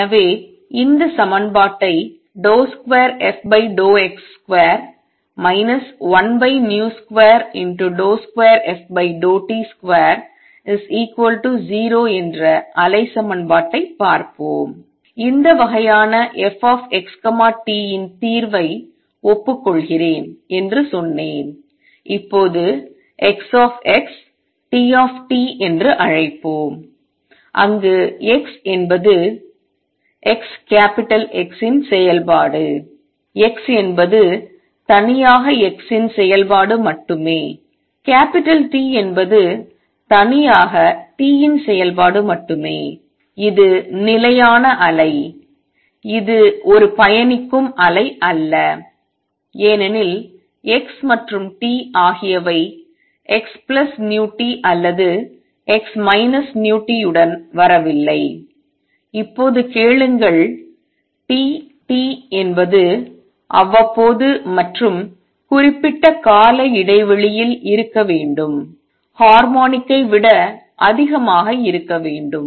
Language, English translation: Tamil, So, let us look at this equation the wave equation which is d 2 f by d x square minus 1 over v square d 2 f by d t square is equal to 0 and I said it admits solution of this kind f x t is let us now call X x T t where x is the function of capital X is the function of x alone and capital T the function of t alone and this is stationary wave, it is not a travelling wave because x and t do not come in combination of x plus v t or x minus v t and now ask for T t to be periodic and more than periodic harmonic